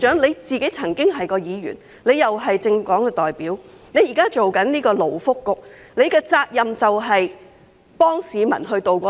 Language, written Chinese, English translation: Cantonese, 羅致光局長曾經是一名議員，也是政黨代表，現在擔任勞工及福利局局長，責任是幫市民渡過難關。, Secretary Dr LAW Chi - kwong was once a Member and representative of a political party . Currently serving as Secretary for Labour and Welfare he is responsible for helping members of the public tide over their difficulties